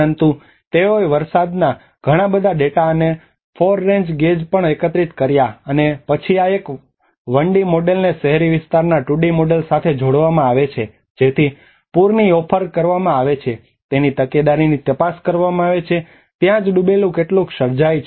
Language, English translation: Gujarati, But they also collected lot of rainfall data and 4 rain gauges and then this 1D model is coupled with a 2D model of the urban area to investigate the propagation of excess flood offered that is where how much an inundation is created